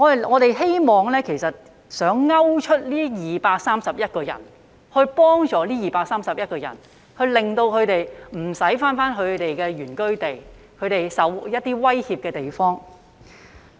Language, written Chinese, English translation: Cantonese, 我們希望能夠鈎出這231人並幫助他們，令他們不需要返回他們的原居地，即他們備受威脅的地方。, We hope that we can single them out and help these 231 people so that they will not be sent back to their places of origin that is the places that pose threat to them